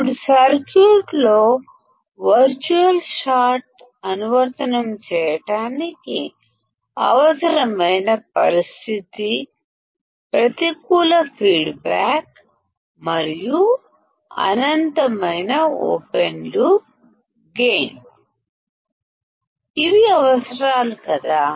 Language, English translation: Telugu, Now, the condition required to apply virtual short in the circuit is the negative feedback and infinite open loop gain; these are the requirements is not it